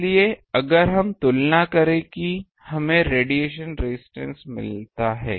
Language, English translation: Hindi, So, if we compare we get the radiation resistance